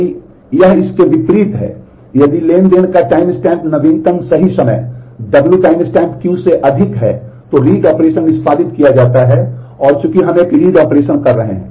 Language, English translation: Hindi, If it is in contrast, if the timestamp of the transaction is greater than the latest right time W timestamp Q then the read operation is executed and since we are doing a read operation